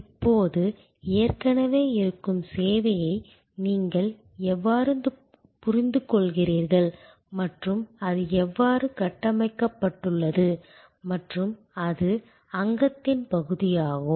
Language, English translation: Tamil, Now, this is how you understand an existing service and how it is structured and it is constituent’s part